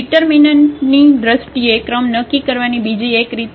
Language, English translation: Gujarati, There is another way of determining this rank in terms of the determinant